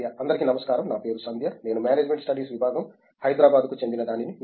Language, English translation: Telugu, Hello this is Sandhya, I am from the Department of Management Studies, I am from Hyderabad